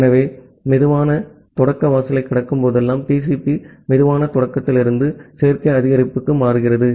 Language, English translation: Tamil, So, whenever the slow start threshold is crossed, TCP switches from slow start to additive increase